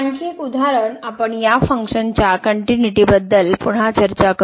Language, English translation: Marathi, Another example we will discuss the continuity of this function again at origin